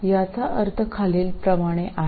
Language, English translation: Marathi, What it means is the following